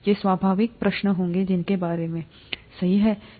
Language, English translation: Hindi, These would be the natural questions that come about, right